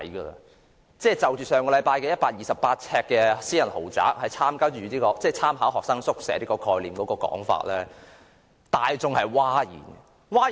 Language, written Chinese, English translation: Cantonese, 上星期有人提出128平方呎私人豪宅是參考學生宿舍概念的說法，令大眾譁然。, Last week it was proposed that 128 - sq ft private luxury flats should be provided by drawing reference to the concept of student hostels . This proposal has caused an uproar